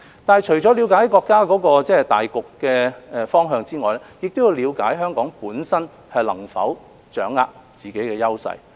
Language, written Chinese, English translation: Cantonese, 但是，除了了解國家大局的方向外，我們亦要了解香港本身能否掌握自己的優勢。, However apart from gaining an understanding of the direction of the countrys overall development we must also ascertain whether Hong Kong can capitalize on our strengths